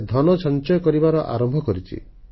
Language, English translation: Odia, He has started saving his money